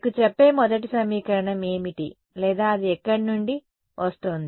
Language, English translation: Telugu, What is the first equation telling you or rather where is it coming from